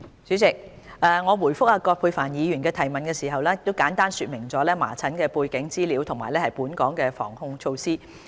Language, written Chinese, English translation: Cantonese, 主席，我答覆葛珮帆議員的質詢時，已簡單說明了麻疹的背景資料及本港的防控措施。, President I have briefly explained the background information concerning measles and the preventive and control measures in my previous reply to Dr Elizabeth QUAT